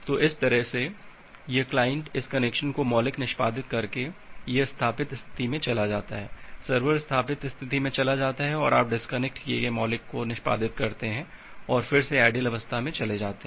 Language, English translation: Hindi, So, that way so this client by executing this connection primitive, it moves to the established state, the server moves to the established state and you execute the disconnect primitive and move to the idle state back again